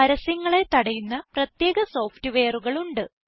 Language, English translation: Malayalam, But there are specialized software that help to block ads